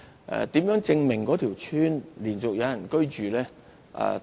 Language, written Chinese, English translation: Cantonese, 如何證明一條村落連續有人居住呢？, And then how to prove continuous inhabitation within a village?